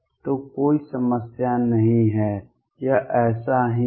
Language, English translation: Hindi, So, there is no problem, this is like that